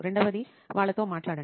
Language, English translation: Telugu, Second is go talk to them